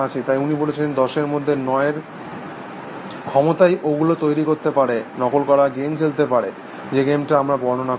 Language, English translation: Bengali, So, he said that, with the capacity of 10 is to 9 to make them, play the imitation game, the game that we do describe